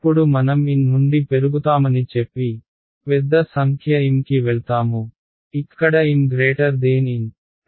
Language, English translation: Telugu, Now let say I increase from N, I go to a larger number M, where M is greater than N